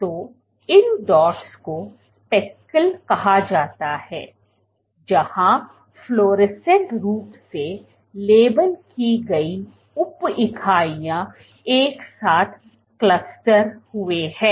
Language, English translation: Hindi, So, these dots are called speckles where, so fluorescently labelled sub units have clustered together